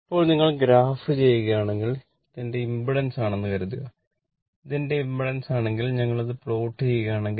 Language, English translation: Malayalam, Now, if you plot suppose this is my impedance if this is my impedance if we plot